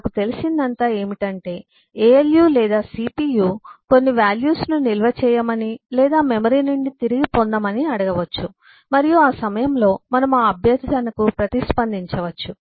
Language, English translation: Telugu, all that I know is alu might ask the cpu might ask for some value to be stored or retrieve from the memory and at that point of time we can just respond to that request